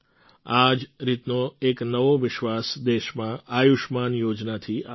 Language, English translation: Gujarati, A similar confidence has come to the country through the 'Ayushman Yojana'